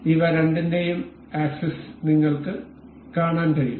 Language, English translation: Malayalam, You can see the axis of both of these